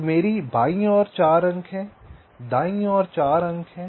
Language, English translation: Hindi, so i have four points on the left, four points on the right